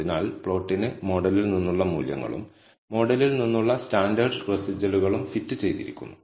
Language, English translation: Malayalam, So, the plot has fitted values from the model and the standardized residuals from the model